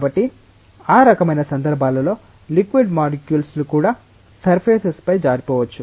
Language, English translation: Telugu, So, then in that kind of contexts the liquid molecules may also slip on the surfaces